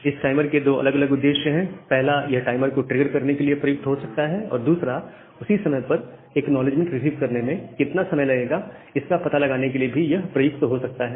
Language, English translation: Hindi, So, this timer have two different purpose like it can you it can be used to trigger the timeout and at the same time it can be used to find out that how much time it take to receive the acknowledgement